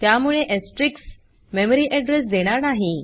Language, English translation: Marathi, So using asterisk will not give the memory address